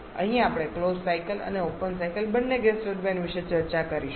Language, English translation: Gujarati, Here we shall be discussing about gas turbines both closed cycle and open cycle